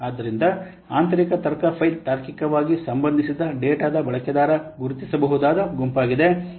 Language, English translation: Kannada, So an internal logic file is a user identifiable group of logically related data